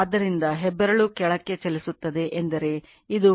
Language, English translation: Kannada, So, thumb it moving downwards I mean this is the flux line